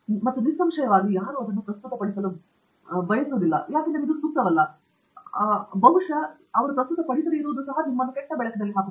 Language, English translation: Kannada, And obviously, nobody wants to present that because sometimes it may not be relevant and sometimes probably it will put you in bad light